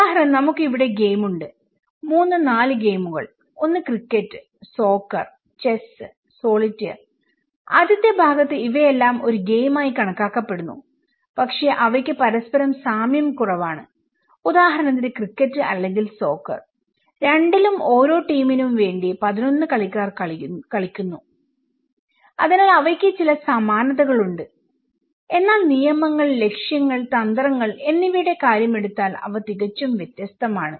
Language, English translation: Malayalam, For example, we have the game here; 3, 4 games, one is and the cricket and in the soccer and the chess and solitaire okay so, in the first part they all consider to be a game but they have very less similarities with each other for example, the cricket or soccers both are 11 players play for each team so, they have some similarities but from the point of rules, aims and strategies they are quite different